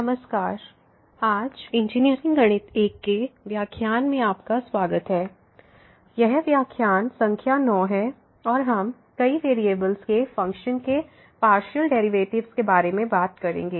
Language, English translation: Hindi, Hello, welcome to the lectures on Engineering Mathematics I and today’s, this is lecture number 9 and we will be talking about Partial Derivatives of Functions of Several variables